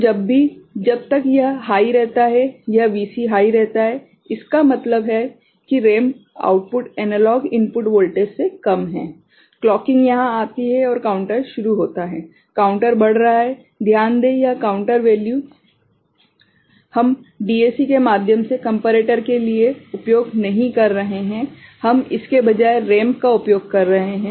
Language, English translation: Hindi, So, whenever as long as it is remaining high, this Vc is remaining high; that means, ramp output is less than the analog input voltage, the clocking comes here and counters starts counter is increasing, note that this counter value we are not using through DAC for comparator, we are using the ramp instead ok